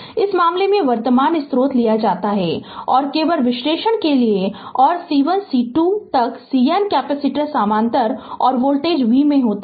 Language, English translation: Hindi, In this case current source is taken and just for analysis right and C 1 C 2 up to C N capacitors are in parallel right and voltage v